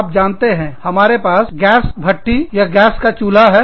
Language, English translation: Hindi, You know, we used to have, the gas oven, the gas stove